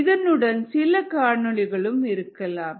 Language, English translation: Tamil, that could be some videos also along with this